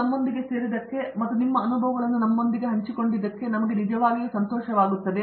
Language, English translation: Kannada, We are really glad that you could join us and share your experiences with us